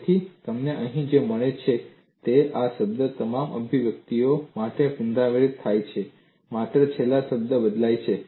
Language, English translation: Gujarati, So, what you find here is this term gets repeated for all the expressions; only the last term changes